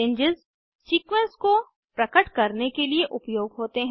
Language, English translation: Hindi, Ranges are used to express a sequence